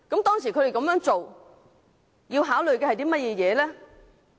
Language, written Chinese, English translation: Cantonese, 當時他們這樣做，要考慮的是甚麼？, What were their considerations for so doing back then?